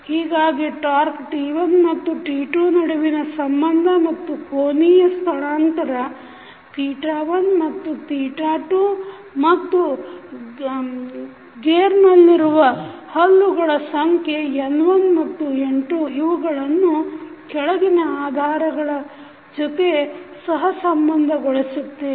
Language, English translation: Kannada, So, the relationship between torque T1 and T2 and then angular displacement theta 1 and theta 2 and the teeth numbers in the gear that is N1 and N2 can be correlated with the following facts